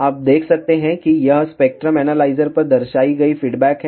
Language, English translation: Hindi, ou can see that this is the response shown on the spectrum analyzer